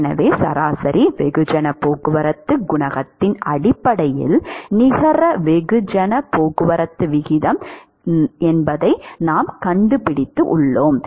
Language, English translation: Tamil, So, that is the net mass transport rate based on the average mass transport coefficient alright